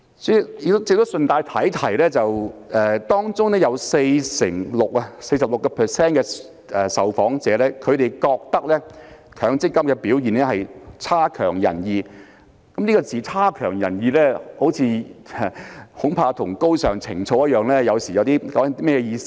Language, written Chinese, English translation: Cantonese, 主席，我亦想順帶提提，在調查中有 46% 受訪者認為強積金的表現"差強人意"，而"差強人意"這個詞語恐怕與"高尚情操"一樣，有時候代表甚麼意思呢？, Chairman I would like to mention in passing that 46 % of the respondents in the survey consider the performance of MPF funds unsatisfactory and the word unsatisfactory probably just like noble sentiment sometimes may carry a different meaning